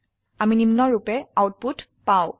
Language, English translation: Assamese, We get the output as follows